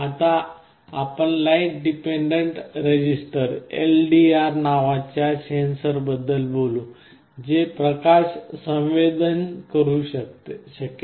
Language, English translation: Marathi, Now, let us talk about a sensor called light dependent resistor that can sense light